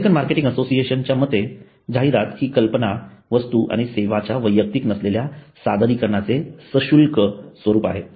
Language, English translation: Marathi, According to the American Marketing Association AMA advertising is the paid form of non personal presentation of ideas, goods and services